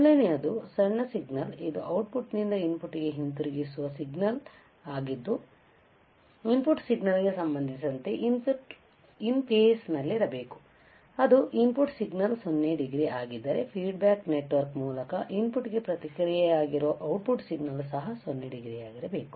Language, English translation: Kannada, The first one is that the small signal which is the output which is fed from the output back to the input, should be in phase with respect to the input signal right that is first thing that is the if the input signal is 0 degree, the output signal which is feedback to the input through the feedback network should also be at 0 degree